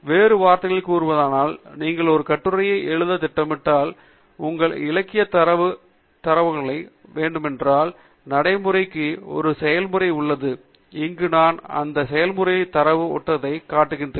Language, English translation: Tamil, In other words, if you are planning to write an article or thesis, and you want to your literature data to come as a data file, then there is a procedure to adopt, and here I am showing you the data flow for that procedure